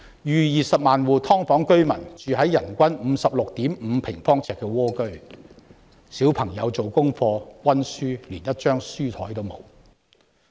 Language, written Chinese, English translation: Cantonese, 逾20萬戶"劏房"居民住在人均 56.5 平方呎的蝸居，小朋友連一張做功課及溫習的書檯也沒有。, Over 200 000 households of subdivided unit residents live in tiny flats with per capita space of only 56.5 sq ft Children do not have even a desk for doing homework and revision